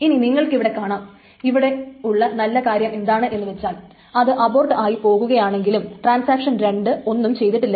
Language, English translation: Malayalam, So now you see what is the good thing about this is that even if this aborts then of course transaction 2 has not done anything at all